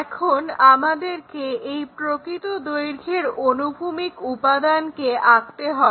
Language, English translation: Bengali, Now, we have to draw horizontal component of this true lengths